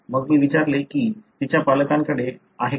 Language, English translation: Marathi, Then I asked whether her parents had